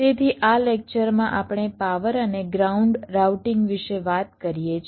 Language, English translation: Gujarati, ok, so in this lecture we talk about power and ground routing